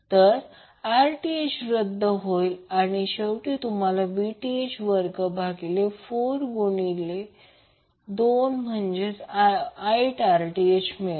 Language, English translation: Marathi, So, 1 Rth will be canceled out and finally you get Vth square divided by 4 into 2 that is 8 Rth